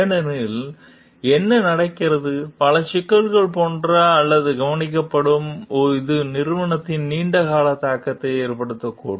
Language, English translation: Tamil, Otherwise, what happens many issues which will remain like or noticed which may have a long term implication on the company